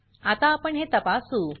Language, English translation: Marathi, Now we will check it out